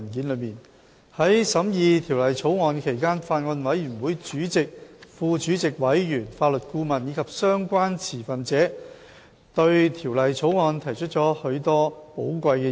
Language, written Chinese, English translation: Cantonese, 在審議《私營骨灰安置所條例草案》期間，法案委員會的主席、副主席、委員、法律顧問及相關持份者對《條例草案》提出了許多寶貴的意見。, During the scrutiny of the Private Columbaria Bill the Bill the Chairman Deputy Chairman Members and Legal Adviser of the Bills Committee as well as the relevant stakeholders have made many valuable suggestions on the Bill